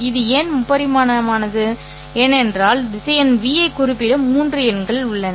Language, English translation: Tamil, Because there are three numbers which are required to specify the vector v